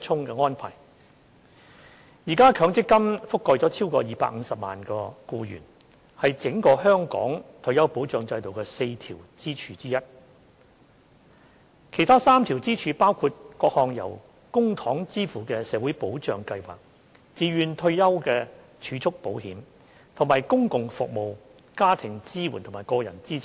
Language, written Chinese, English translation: Cantonese, 現時，強積金覆蓋超過250萬名僱員，是整個香港退休保障制度的4根支柱之一。其他3根支柱，包括各項由公帑支付的社會保障計劃、自願退休儲蓄保險，以及公共服務、家庭支援和個人資產。, At present the MPF System with a coverage of over 2.5 million employees is one of the four pillars under the retirement protection system of Hong Kong as a whole while the other three pillars are namely various publicly - funded social security schemes voluntary retirement savings - related insurance as well as public services family support and personal assets